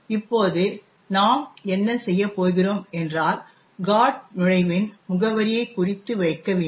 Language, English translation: Tamil, Now, what we will do is note down the address of the GOT entry